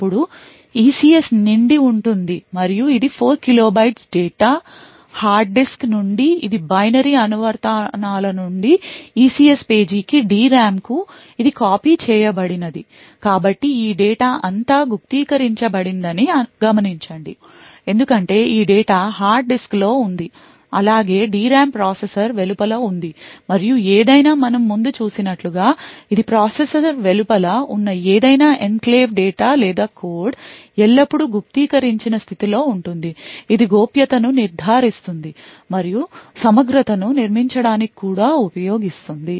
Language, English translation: Telugu, Then the ECS is filled and that is 4 kilo bytes of data which is copied from the hard disk that is from the applications binary to the ECS page that is to the DRAM so note that all of these data encrypted because this data present in this hard disk as well as the DRAM is present outside the processor and as we have seen before any information outside the processor which is any enclave data or code present outside the processor is always in an encrypted state this ensures confidentiality and could also be used to build integrity